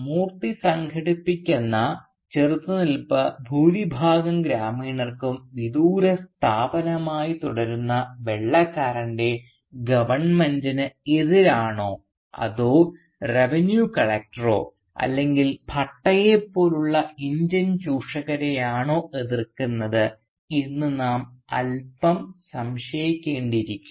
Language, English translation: Malayalam, But we are left slightly unsure whether this villagers is resistance that Moorthy organises is directed at the White man's government which for most of the villagers remain a distant entity or is it directed to the more immediate Indian exploiters like Bhatta, for instance, or the Revenue Collector